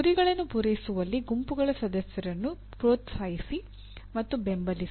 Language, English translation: Kannada, Encourage and support group members in meeting the goals